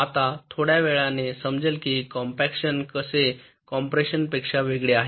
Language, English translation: Marathi, now we shall see a little later how compaction is different from compression